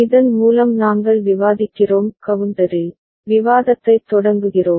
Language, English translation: Tamil, With this we discuss we start discussion on counter